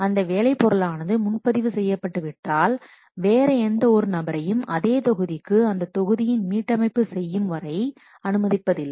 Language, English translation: Tamil, Once that work product is reserved, it does not allow anybody else to reserve the same module until the reserve module is reserved